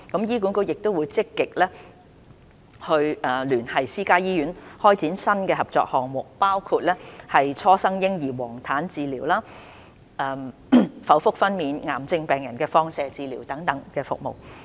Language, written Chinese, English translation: Cantonese, 醫管局亦積極聯繫私家醫院開展新的合作項目，包括初生嬰兒黃疸治療、剖腹分娩、癌症病人放射治療等服務。, HA has also proactively liaised with private hospitals to launch new collaborative projects including neonatal jaundice treatment caesarean section and radiotherapy for cancer patients